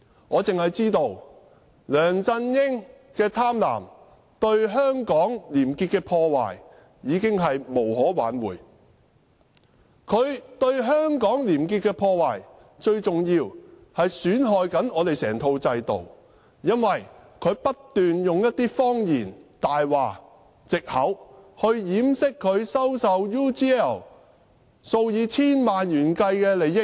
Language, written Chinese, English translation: Cantonese, 我只知道梁振英的貪婪，對香港廉潔的破壞已經無可挽回；他對香港廉潔的破壞，最重要的是損害整套制度，因為他不斷用謊言和藉口來掩飾他收受 UGL 數以千萬元的利益。, All I know is that the damage on Hong Kong as a clean city done by the avarice of LEUNG Chun - ying is irrevocable . The damage is most seriously seen on the entire establishment because he has been using lies and excuses to cover up his receipt of tens of millions of dollars from UGL Limited